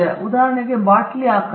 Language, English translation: Kannada, Shape of a bottle for instance okay